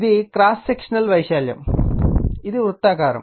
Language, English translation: Telugu, This is that cross sectional area right, this is circular one